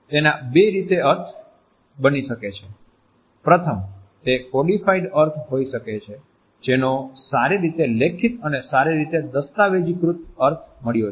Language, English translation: Gujarati, The meaning may be constructed in two ways, firstly, it may be a codified meaning which has got a well written and well documented meaning